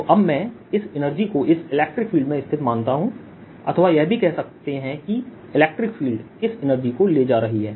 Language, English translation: Hindi, so now i am thinking of this energy being sitting in this electric field or this electric field carrying this energy